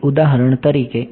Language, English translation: Gujarati, So, for example